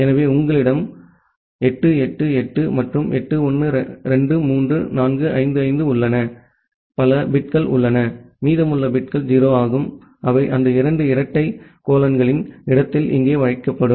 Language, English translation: Tamil, So, you have 8888 and 8 1 2 3 4 5 5 into 8, that many bits are there and remaining bits are 0, which will be placed here in the place of those two double colons